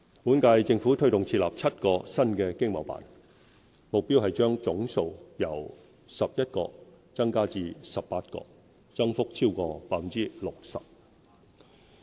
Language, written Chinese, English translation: Cantonese, 本屆政府推動設立7個新的經貿辦，目標是將總數由11個增加至18個，增幅超過 60%。, The current - term Government has been taking forward the establishment of seven new ETOs with the aim of taking the total number of ETOs from 11 to 18 an increase of over 60 %